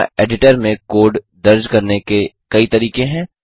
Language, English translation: Hindi, There are several ways to enter the code in the editor